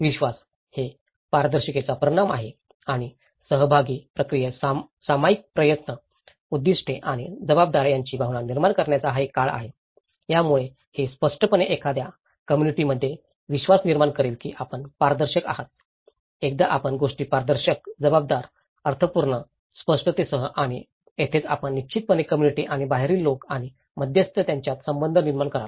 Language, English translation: Marathi, The trust; it is a result of transparency and the time in the participatory process creating a sense of shared effort, goals and responsibility so, this 2 will obviously build a trust between the communities between once, you are transparent, once you make things transparent, accountable, meaningful, with clarity and that is where you will definitely build a relationship between communities and outsider and the intermediaries